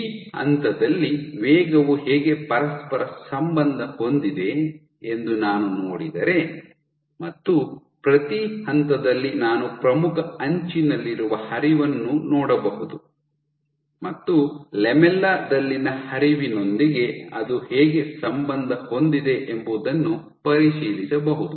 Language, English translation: Kannada, So, if I see that how is velocity at this point correlated with velocity at this point at each point I can see the flow in the leading edge and see how is it correlated with the flow in the lamella